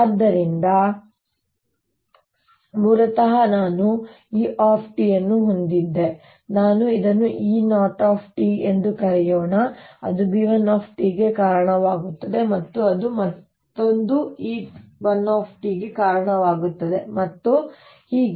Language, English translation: Kannada, so originally i had e t, let's call it e, zero t, which is giving rise to ah, b one t, which in turn again will give rise to another e one t, and so on